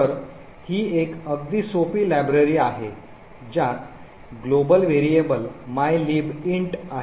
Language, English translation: Marathi, So, this is a very simple library it comprises of a global variable mylib int